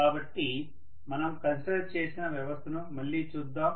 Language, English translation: Telugu, So let us again look at system what we had considered